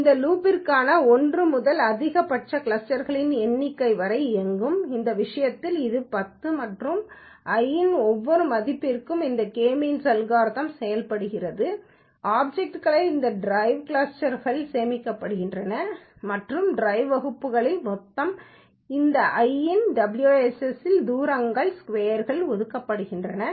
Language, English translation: Tamil, This for loop will run from 1 to number of maximum clusters that is in this case it is 10 and for each value of i this k means algorithm is implemented the objects are being stored into this drive classes and in the drive classes the total within some of square's distance is being allocated into this WSS of i and the size of the cluster is allocated into the components of the list which you have created